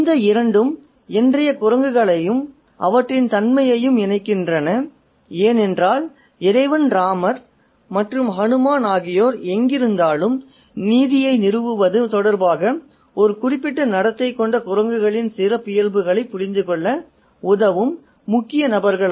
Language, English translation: Tamil, And these two connect the present day monkeys and their character because Lord Rama and General Hanuman are the key figures who kind of help us understand the characteristics of the monkeys who have a particular set of behavior in relation to establishing justice wherever they are